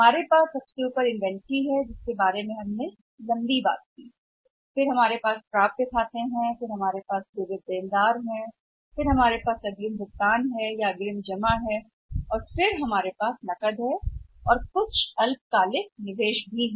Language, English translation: Hindi, We have Inventory of the top which we talked about at length that we have the accounts receivables then we are sundry debtors then we have advance payments have advanced deposits so and then we have cash and some short term investments also right